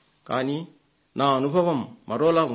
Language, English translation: Telugu, But my experience was different